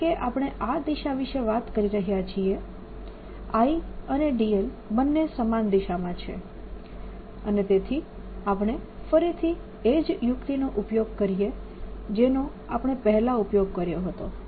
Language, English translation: Gujarati, and since we have been talking about this direction, i is in the same direction is d l, and therefore we again use a trick that we used earlier